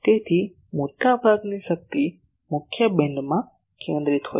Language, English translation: Gujarati, So, most of the power is concentrated into the main beam